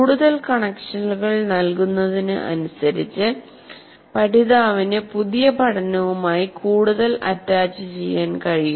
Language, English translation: Malayalam, So the more connections are made, the more understanding and meaning the learner can attach to the new learning